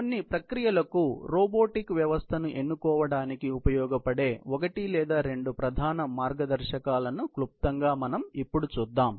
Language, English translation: Telugu, Let us just briefly, look at one or two of these very main guidelines which would be used for doing selection of robotic system to certain processes